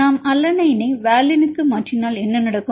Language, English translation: Tamil, If we mutate alanine to valine what will happen